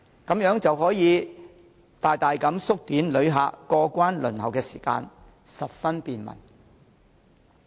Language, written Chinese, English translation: Cantonese, 這樣可以大大縮短旅客過關輪候的時間，十分便民。, This will greatly shorten travellers waiting time for clearance and provide the greatest convenience to travellers